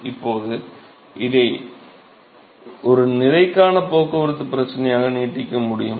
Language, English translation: Tamil, Now, one could actually extend this to a mass transport problem ok